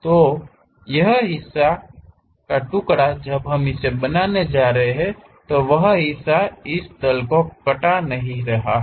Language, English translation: Hindi, So, this part when slice we are going to make it, that part is not chopped off by this plane